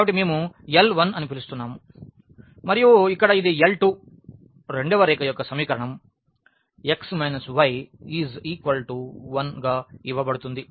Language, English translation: Telugu, So, we are calling this L 1 and here this is L 2 the equation of the second a line which is given by x minus y is equal to 1